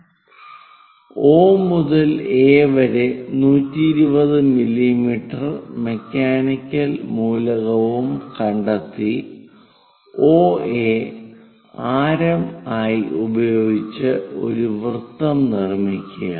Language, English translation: Malayalam, So, locate a point O another point A with O to A a 120 mm mechanical element is present and construct a circle with OA as radius